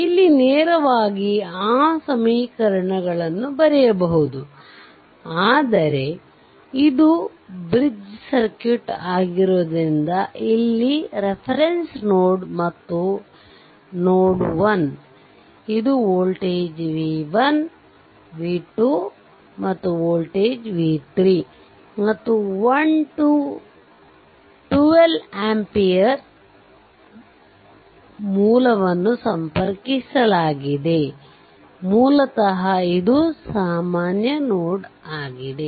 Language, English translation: Kannada, So, here this is your reference node and you have this is node 1, this is voltage v 1, this is voltage v 2 and this is voltage v 3 right and 1 2 ampere source is connected basically this this is a common node right